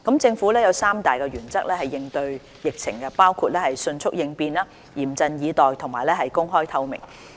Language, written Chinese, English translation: Cantonese, 政府有三大原則應對疫情，包括迅速應變，嚴陣以待和公開透明。, In tackling the outbreak the Government adopts three principles namely making prompt responses staying alert and working in an open and transparent manner